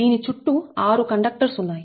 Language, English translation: Telugu, there are seven conductors